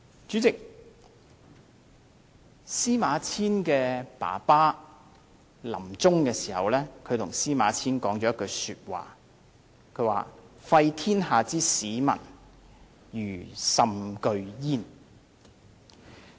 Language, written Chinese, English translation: Cantonese, 主席，司馬遷的父親臨終時告誡司馬遷："廢天下之史文，余甚懼焉"。, President at his deathbed the father of SIMA Qian admonished SIMA Qian If historical records are annihilated I am truly terrified